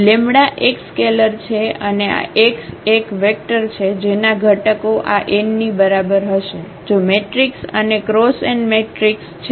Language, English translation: Gujarati, The lambda is a scalar and this x is a vector whose components will be exactly equal to this n, if the matrix is n cross n matrix